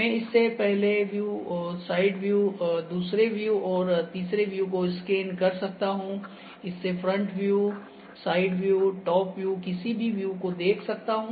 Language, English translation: Hindi, I can scan it form one view, side view, second view and third view ok, that is front view, side view, top view any view I can think this see